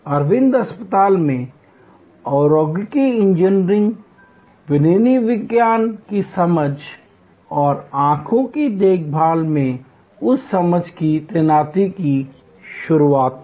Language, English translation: Hindi, Aravind hospital introduced industrial engineering, good understanding of manufacturing science and deployment of that understanding in eye care